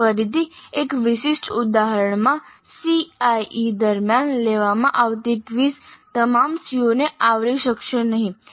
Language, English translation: Gujarati, Here again in a specific instance the quizzes that are conducted during the CAE may not cover all the COs